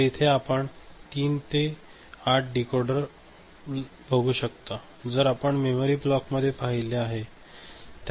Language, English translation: Marathi, So, there will be a 3 to 8 decoder as we see, as we have seen in a memory block alright